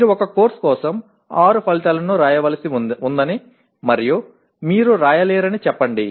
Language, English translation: Telugu, Let us say you are required to write six outcomes for a course and you are not able to write